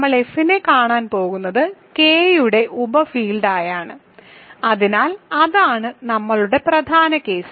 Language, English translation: Malayalam, So, we are going to look at F is a subfield of K, so that is our main case